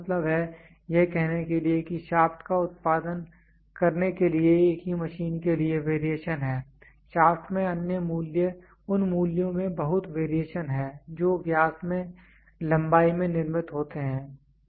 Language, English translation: Hindi, So, that means, to say there is variation for the same machine to produce a shaft, there is a lot of variation in the values in the shaft which is produced in length in diameter